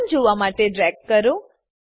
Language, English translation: Gujarati, Drag to see the relationship